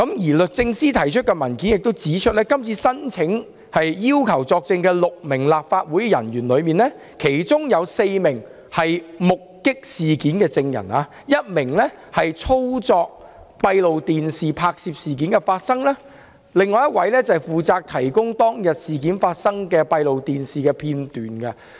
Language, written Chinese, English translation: Cantonese, 而律政司提交的文件指出，今次申請要求6名立法會人員作證，其中4名人員目擊事件 ；1 名人員操作閉路電視機，拍攝到事件的發生經過；另一位則負責提供當天發生的事件的閉路電視片段。, As pointed out by the paper submitted by DoJ this application requests six officers of the Legislative Council to give evidence . Four of the officers witnessed the incident . One operated the CCTV cameras capturing the course of the incident and the other one was responsible for providing the CCTV footage of the incident which happened on that day